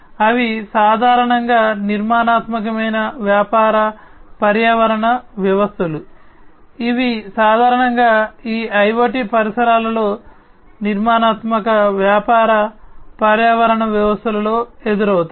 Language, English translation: Telugu, They are typically unstructured business ecosystems that are typically encountered in these IoT environments, unstructured business ecosystems